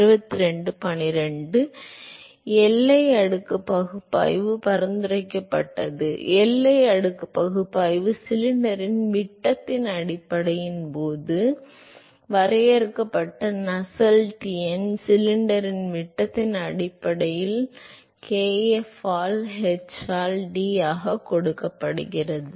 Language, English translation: Tamil, So, the boundary layer analysis suggested; the boundary layer analysis suggested that the Nusselt number that is defined now based on the diameter of the cylinder so, this is given by h into d by kf defined based on the diameter of the cylinder